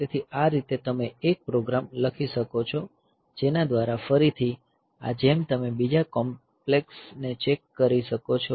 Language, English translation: Gujarati, So, this way you can write a program by which, again this as you can just by other complex checks can be there